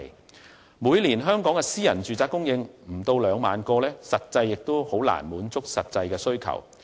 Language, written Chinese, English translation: Cantonese, 香港每年的私人住宅單位供應量只有不足2萬個，根本難以滿足實際需求。, As the supply of private housing units in Hong Kong is only less than 20 000 per annum it can hardly meet actual demand